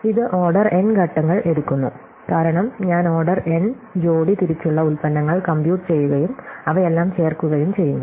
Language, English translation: Malayalam, So, this takes order n steps, because I am computing order n pairwise products and then adding them all